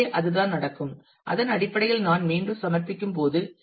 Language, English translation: Tamil, So, that is the all that happens and when I submit again something based on that